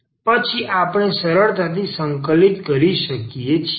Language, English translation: Gujarati, So, now, we can integrate